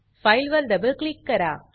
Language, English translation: Marathi, Double click on the file